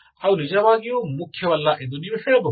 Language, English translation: Kannada, You can say they are not really important, okay